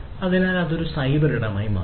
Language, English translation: Malayalam, So, that becomes the cyberspace